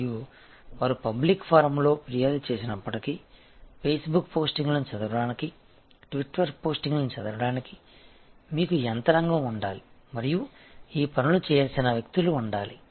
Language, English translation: Telugu, And even if they do and go complain on the public forum, you should have a mechanism to read the facebook postings, to read the twitter postings and there should be people, who are task to do these things